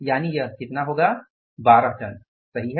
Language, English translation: Hindi, So, it is going to be how much 12 tons, right